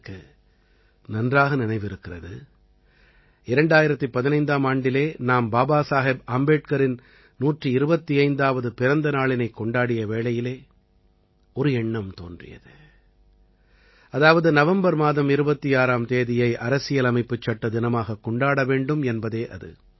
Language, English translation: Tamil, I remember… in the year 2015, when we were celebrating the 125th birth anniversary of BabasahebAmbedkar, a thought had struck the mind to observe the 26th of November as Constitution Day